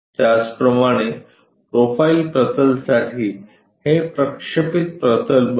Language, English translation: Marathi, Similarly for profile plane this becomes projected one